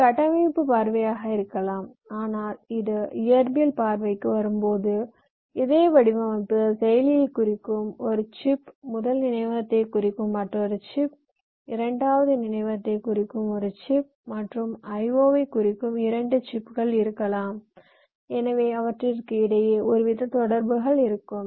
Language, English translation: Tamil, but this same design, when it comes down to physical view, it can be one chip representing the processor, there can be another chip representing the first memory, ah chip representing the second memory, and may be two chips representing the i